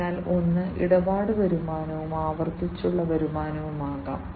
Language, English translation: Malayalam, So, one could be the transaction revenues, and this could be the recurring revenues